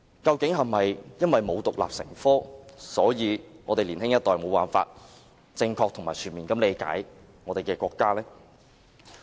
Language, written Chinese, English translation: Cantonese, 究竟是否因為中史沒有獨立成科，才導致年輕一代無法正確及全面理解國家？, After all do the younger generation fail to get to know China simply because Chinese History is not taught as an independent subject?